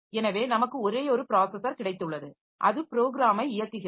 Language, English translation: Tamil, So, we have got a single processor and so that is executing the program